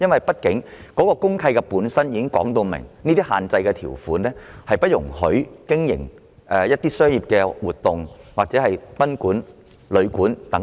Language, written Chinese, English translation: Cantonese, 畢竟公契本身可能已訂有限制性條款，不得進行商業活動或經營賓館或旅館等。, After all a DMC itself may already contain restrictive provisions forbidding commercial activities or the operation of boarding houses or guesthouses